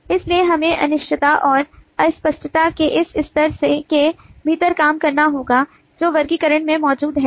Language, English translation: Hindi, so we will have to work within this level of uncertainty and ambiguity that exists in classification